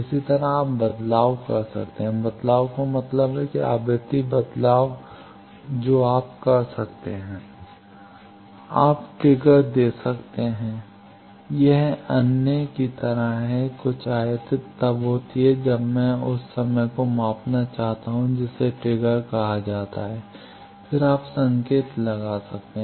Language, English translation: Hindi, Similarly, you can sweep, sweep means that frequency thing you can then, you can give trigger this is like other that some event we occur then that time I want to measure that is called trigger then you can put marker